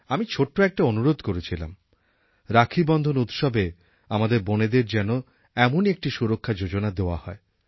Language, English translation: Bengali, I had made a humble request that on the occasion of Raksha Bandhan we give our sisters these insurance schemes as a gift